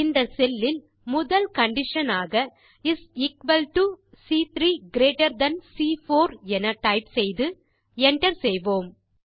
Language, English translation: Tamil, In this cell, type the first condition as is equal to C3 greater than C4 and press the Enter key